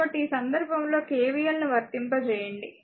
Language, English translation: Telugu, So, in this case you also apply the same thing that KVL 1